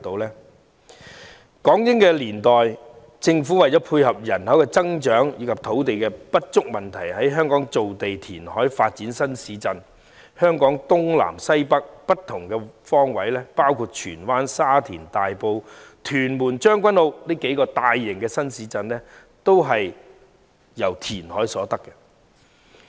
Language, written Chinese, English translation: Cantonese, 在港英年代，政府為了配合人口增長及因應土地不足的問題，在香港造地填海，發展新市鎮，香港東南西北各方包括荃灣、沙田、大埔、屯門和將軍澳等數個大型新市鎮均從填海所得。, In the British - Hong Kong era to cope with population growth and in response to the problem of land shortage the Government carried out reclamation of land and development of new towns in Hong Kong . The several large new towns in the East South West and North of Hong Kong including Tsuen Wan Sha Tin Tai Po Tuen Mun and Tseung Kwan O were developed through reclamation